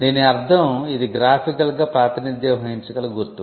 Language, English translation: Telugu, It means a mark capable of being represented graphically